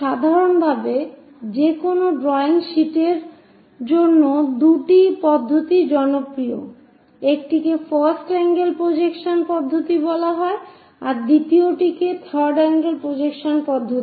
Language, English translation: Bengali, In general, for any drawing sheets two methods are popular, one is called first angle projection system, the second one is third angle projection system